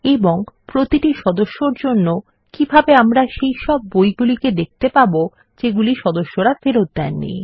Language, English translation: Bengali, And for each member, how can we see only those books that have not yet been returned by that member